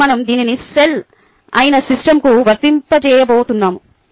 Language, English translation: Telugu, now we are going to apply this to a system which is a cell, the system boundary